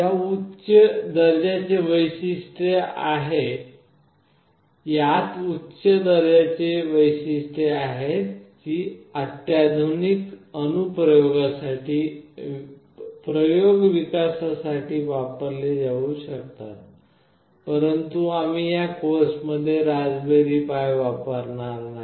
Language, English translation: Marathi, It has got high end features that can be used for sophisticated application development although we will not be using Raspberry Pi in this particular course